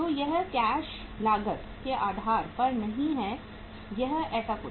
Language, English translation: Hindi, So this is not on the cash cost basis or something like that